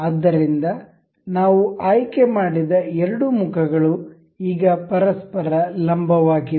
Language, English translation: Kannada, So, the two faces that we selected are now perpendicular to each other